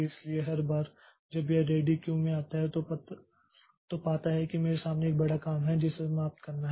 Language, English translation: Hindi, So, every time it comes to the ready queue, it finds that there is a big job before me that has to be finished